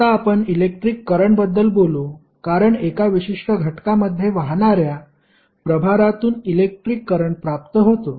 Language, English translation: Marathi, Now, let us talk about the electric current, because electric current is derived from the charge which are flowing in a particular element